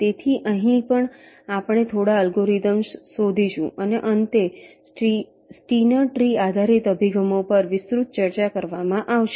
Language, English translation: Gujarati, so here also we shall be looking up a couple of algorithms and finally, a brief look at steiner tree based approaches shall be ah discussed now